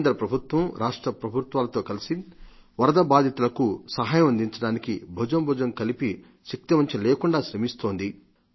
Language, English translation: Telugu, Central government and State Governments are working hand in hand with their utmost efforts to provide relief and assistance to the floodaffected